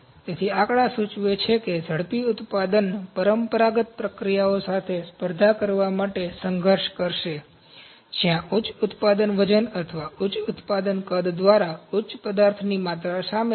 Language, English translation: Gujarati, So, these figures suggest that rapid manufacturing will struggle to compete with conventional processes, where high material volumes through the high product weight or high production volumes are involved